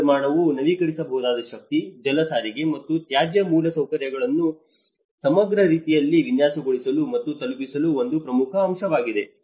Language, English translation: Kannada, Reconstruction is an important opportunity to design and deliver renewable energy, water transport, and waste infrastructure in an integrated way